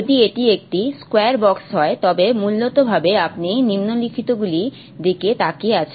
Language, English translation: Bengali, If it's a square box then essentially you are looking at the let's see if you can have a square